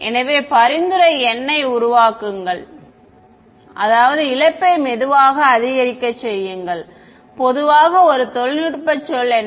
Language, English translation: Tamil, So, the suggestion is make n I mean make the loss increase slowly right what is a more technical word for slowly